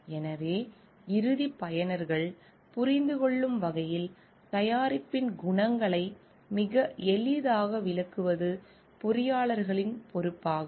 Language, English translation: Tamil, So, it is the responsibility of the engineers to explain the qualities of the product in a very easy way to the end users so that they can understand it